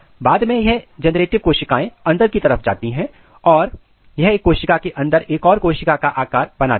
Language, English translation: Hindi, Later on this generative cells migrate inside and they makes a kind of cell within cell appearance